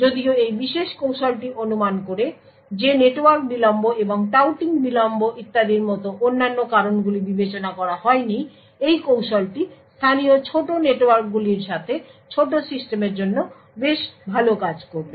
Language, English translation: Bengali, While this particular technique assumes that other factors like network delays and touting delays and so on are not considered, this technique would work quite well for small systems with small local networks